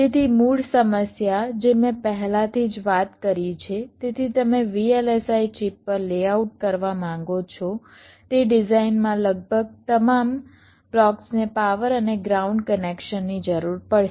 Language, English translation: Gujarati, so almost all the blocks in a design that you want to layout on a vlsi chip will be requiring the power and ground connections